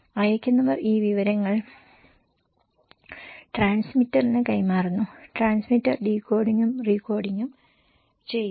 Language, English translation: Malayalam, Senders passing this informations to the transmitter and transmitter is decoding and recoding